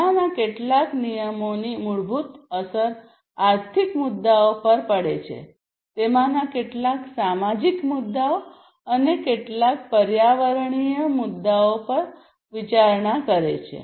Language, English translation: Gujarati, Some of these regulations are basically having direct impact on the economic issues, some of them have considerations of the social issues, and some the environmental issues